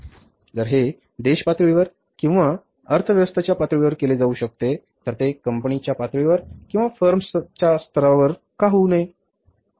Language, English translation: Marathi, So, if it can be done at the country level or the economy level, then why it should not be at a company level or a firm level